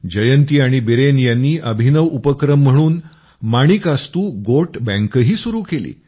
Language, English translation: Marathi, Jayanti ji and Biren ji have also opened an interesting Manikastu Goat Bank here